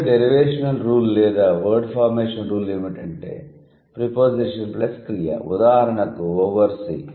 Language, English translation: Telugu, Then the finally derivational rule or the word formation rule would be preposition plus verb